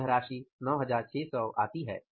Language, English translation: Hindi, We are ending up paying 9681